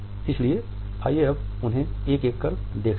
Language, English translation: Hindi, So, lets look at them one by one